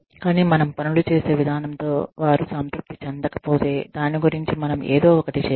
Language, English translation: Telugu, But, if they are not satisfied, with the way we do things, then we need to do something, about it